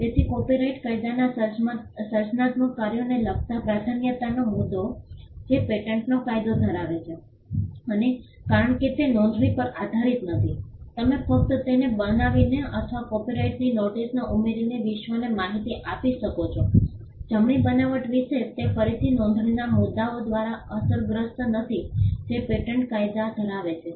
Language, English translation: Gujarati, So, copyright law does not have the issue of priority with regard to creative works which patent law has and because it is not dependent on registration you can just create a copyright by just creating it or by adding a copyright notice to it to inform the world about the creation of the right it is again not hit by the issues of registration which patent law has